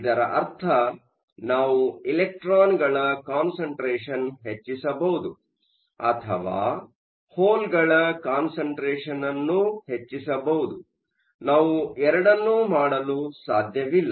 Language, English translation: Kannada, This meant that could we can either increase the concentration of electrons or increase the concentrations of holes, we cannot do both